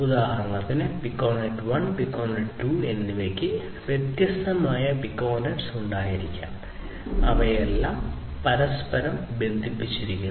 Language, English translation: Malayalam, So, like that you have Piconet 1, Piconet 2 you can have like this you know you can have different different Piconets all of which are interconnected together and so on